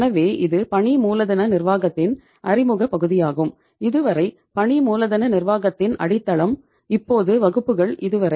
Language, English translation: Tamil, So this is just introductory part of the working capital management, foundation of the working capital management till now, up to the classes till now